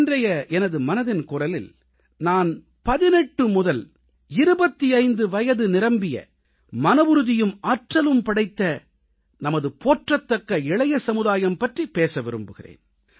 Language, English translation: Tamil, And today, in this edition of Mann Ki Baat, I wish to speak to our successful young men & women between 18 & 25, all infused with energy and resolve